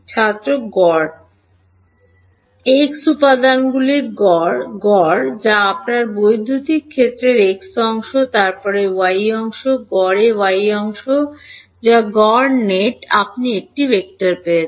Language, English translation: Bengali, Average the x components average that is the and that is the x part of your electric field, average the y components that is the y part net you have got a vector